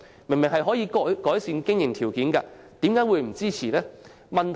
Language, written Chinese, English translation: Cantonese, 它可以改善經營條件，為何不支持呢？, It can improve business conditions but why do they not support it?